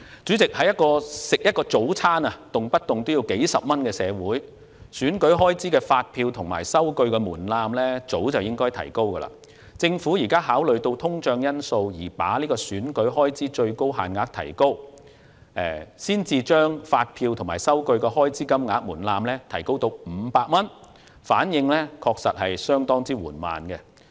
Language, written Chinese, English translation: Cantonese, 主席，在一個一份早餐的售價動輒數30多元的社會，選舉開支的發票和收據門檻早應提高，政府現在考慮到通脹因素而把選舉開支的最高限額提高，把提交發票及數據的開支金額門檻提高至500元，反應確實相當緩慢。, President in a society where it costs over 30 dollars for a breakfast the threshold for election expenses to be supported by invoices and receipts should be raised long ago . Having considered the inflation factor and the increases in the election expense limits the Government now raises the threshold for election expenses to be supported by invoices and receipts to 500 . The response is really rather slow